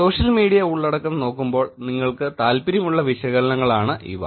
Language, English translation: Malayalam, These are the kind of analysis that you should be interested in doing while looking at the social media content